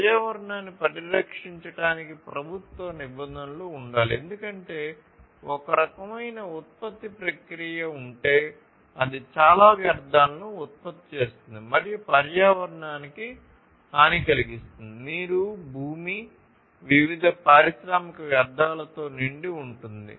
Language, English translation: Telugu, So, government regulations should be there to protect the environment, because you know if there is some kind of production process, which produces lot of waste and in turn harms the environment the water, the land etc are full of different industrial wastes then that is not good